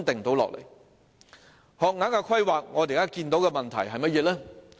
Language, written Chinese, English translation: Cantonese, 在學額規劃方面，我們所見到的問題是甚麼呢？, On the planning of school places what problems have we noted?